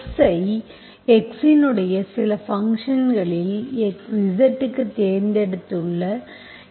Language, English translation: Tamil, Okay, so here I have chosen x into some function of x into z you want